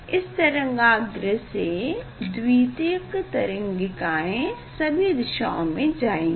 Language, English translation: Hindi, like this from wave front secondary wavelet will pass in all the directions